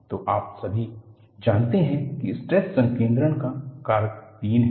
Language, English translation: Hindi, So, you all know stress concentration factor is 3